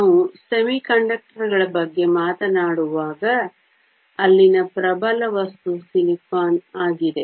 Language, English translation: Kannada, When we talk about semiconductors, the dominant material there is silicon